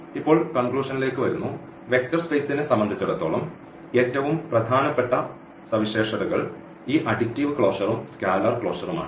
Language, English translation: Malayalam, And, now coming to the conclusion, so, for the vector space the most important properties were these additive closer and this the scalar closer here